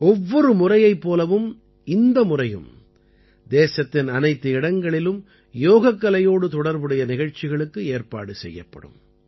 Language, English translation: Tamil, Like every time, this time too programs related to yoga will be organized in every corner of the country